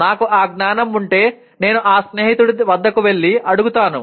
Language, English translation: Telugu, If I have that knowledge I will go to that friend and ask